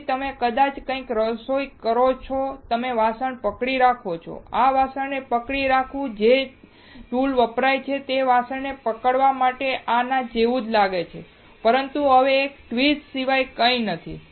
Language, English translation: Gujarati, So, you maybe cooking something, you are holding the equipment; the holding this utensil, that to hold the utensil the tool that is used looks similar to this, but now this nothing but a tweezer